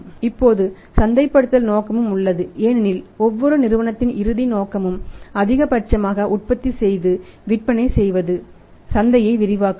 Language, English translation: Tamil, Now marketing motive is also there because ultimate purpose of every company is to manufacture and sell maximum in the market, expand the market